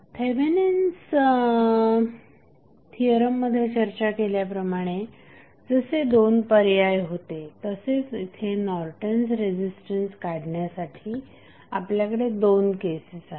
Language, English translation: Marathi, Now, as we discussed in case of Thevenin's theorem in this case also you will have two options rather we say two cases to find out the value of Norton's resistance